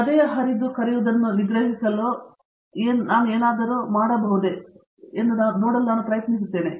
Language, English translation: Kannada, I am trying to see whether I can do something to suppress what is called heart tearing